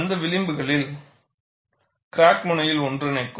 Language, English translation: Tamil, There the fringes would merge at the crack tip